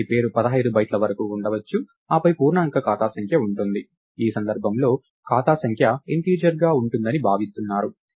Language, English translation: Telugu, So, the name can be up to 15 bytes, then there is an integer account number, in this case account number is expected to be integral